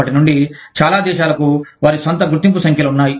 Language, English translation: Telugu, Since, many countries have their own identification numbers